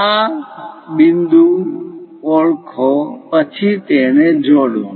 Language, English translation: Gujarati, Identify these points, then join them